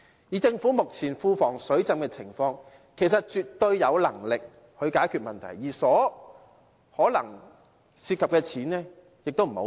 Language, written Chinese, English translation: Cantonese, 以政府目前庫房"水浸"的情況，其實絕對有能力解決這問題，而涉及的金錢可能也不多。, With the public coffers being inundated with a huge surplus at present the Government definitely has the ability to resolve this problem and the amount of money involved may not be too much